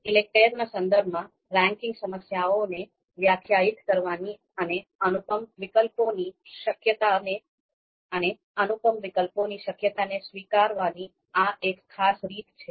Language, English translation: Gujarati, So again this particular you know way of you know defining this ranking problem in the context of ELECTRE is also accepting the possibility of incomparable alternatives